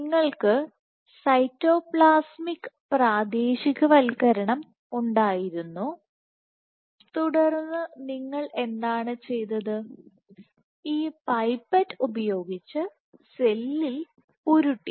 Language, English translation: Malayalam, So, you had cytoplasmic localization, and then what you did you came down with this pipette and rolled it on the cell